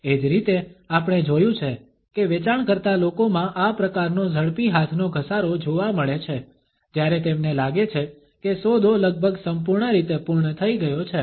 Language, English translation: Gujarati, Similarly we find that in sales people this type of a quick hand rub is perceived when they feel that a deal is almost completely finalized